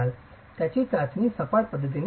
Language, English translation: Marathi, It is tested flatwise